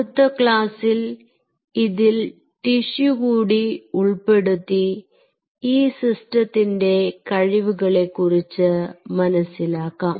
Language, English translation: Malayalam, in the next class we will integrate some of the tissues into it and we will see what all power the system can offering